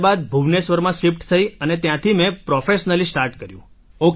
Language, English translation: Gujarati, Then after that there was a shift to Bhubaneswar and from there I started professionally sir